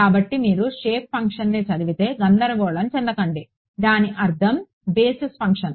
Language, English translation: Telugu, So, if you read shape function do not get confused it means basis function